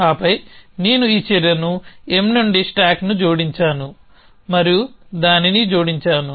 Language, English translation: Telugu, And then I have added this action up stack something from M and added that